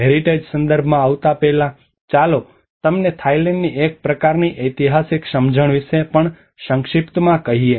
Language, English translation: Gujarati, Before coming into the heritage context, let us also brief you about a kind of historical understanding of Thailand